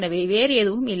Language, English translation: Tamil, So, there is a nothing else there